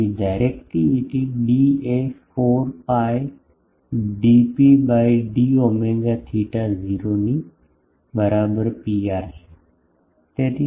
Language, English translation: Gujarati, So, directivity D is 4 pi dP by d omega f theta is equal to 0 by Pr